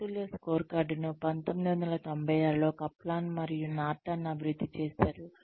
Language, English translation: Telugu, Balanced scorecard was developed by Kaplan and Norton in 1996